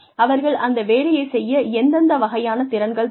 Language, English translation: Tamil, What kinds of skills, do they need to have